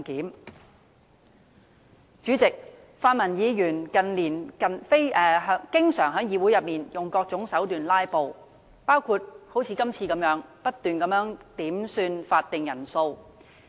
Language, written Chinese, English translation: Cantonese, 代理主席，泛民議員近年經常在議會內用各種手段"拉布"，包括像今次一樣不斷要求點算法定人數。, Deputy Chairman in recent years pan - democratic Members have adopted various means to filibuster in the Council such as making incessant requests for headcounts as in the present case